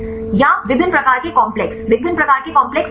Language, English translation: Hindi, Or different types of complexes, what are different types of complexes